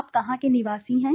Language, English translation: Hindi, Where are you from